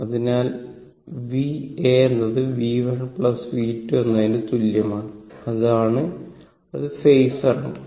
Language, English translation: Malayalam, So, v A is equal to V 1 plus V 2 arrow is given to represent it is phasor